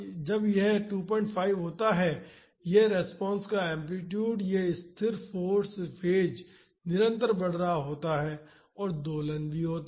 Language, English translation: Hindi, 5 the amplitude of the response and this constant force phase is increasing and there is also oscillation